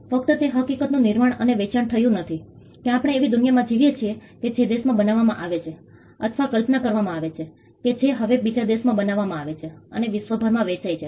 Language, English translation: Gujarati, Not just manufactured and sold the fact that we live in a world where things that are created or conceived in a country as now manufactured in another country and sold across the globe